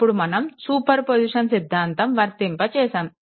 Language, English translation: Telugu, Now superposition we are applying